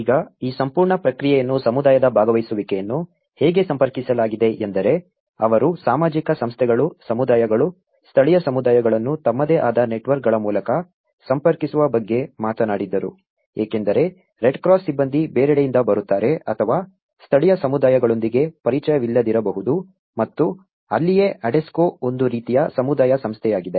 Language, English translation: Kannada, Now, how this whole process the community participation has been approached one is, they talked about approaching through the social organizations, the communities, the local communities through their own networks so, because the Red Cross personnel will be coming from somewhere else who may or may not be familiar with the local communities and that is where the Adesco which is a kind of community organizations